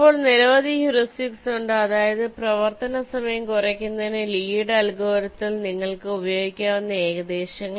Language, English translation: Malayalam, now there are several heuristics, or you can say that means approximations, that you can use in the lees algorithm to reduce the running time